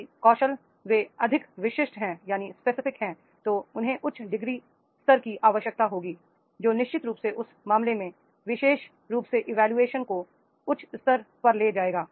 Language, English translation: Hindi, If the skills they are highly specific, they require a high degree level, then definitely in that case that particular job will be carrying the very high level of the evaluation